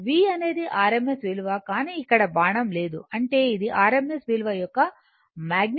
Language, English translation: Telugu, V is the rms value, but no arrow is here it means rms value magnitude